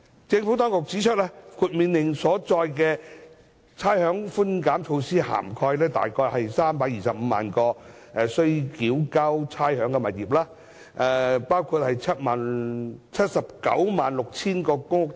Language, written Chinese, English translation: Cantonese, 政府當局指出，《命令》所載的差餉寬減措施涵蓋約325萬個須繳交差餉的物業，包括 796,000 個公屋單位。, The Government has advised that the rates concession measure under the Order will cover about 3.25 million properties including 796 000 public rental housing PRH units